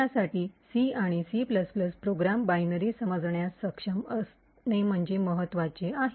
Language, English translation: Marathi, It is important for us to be able to understand C and C++ program binaries